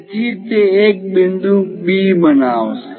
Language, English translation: Gujarati, So, it is going to make a point B